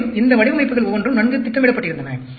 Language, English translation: Tamil, And, each of these designs were well planned out